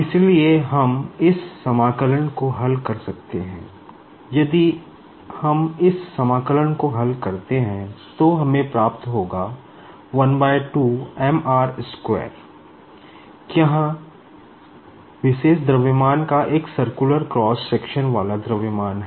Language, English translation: Hindi, And, if we carry out this integration we will be getting half m r square, where m is nothing but the mass of this particular the link having a circular cross section